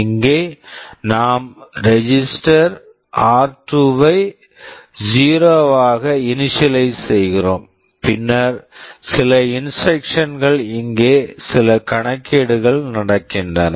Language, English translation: Tamil, Here we are initializing some register r2 to 0, then some instructions here some calculations are going on